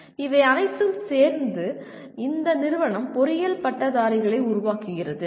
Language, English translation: Tamil, And these together, this institute produces engineering graduates